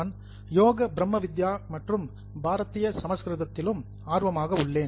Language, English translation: Tamil, I am also interested in Yoke, Brahmavidya as well as Bharatiyya Sanskriti